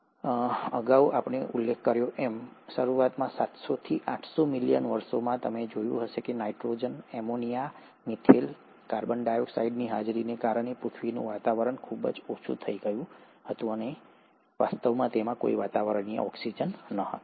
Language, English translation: Gujarati, As I mentioned earlier, it is in, in the initial seven hundred to eight hundred million years, you would find that the earth’s atmosphere was highly reducing because of presence of nitrogen, ammonia, methane, carbon dioxide, and it actually did not have any atmospheric oxygen